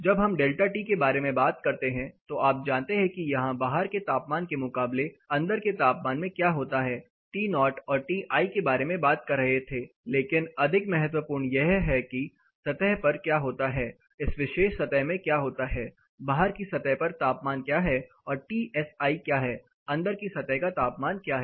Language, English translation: Hindi, When we talk about delta T, you know what happens to the temperature here outside temperature outside versus temperature inside we were talking about T o and T i, but what is more important is what happens on the surface, what happens in this particular surface, what is a surface outside temperature and what is a Tsi, what is the inside surface temperature